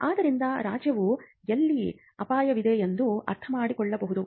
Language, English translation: Kannada, So, the state understands that and that is where the risk is involved